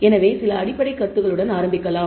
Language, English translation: Tamil, So, let us start with some basic concepts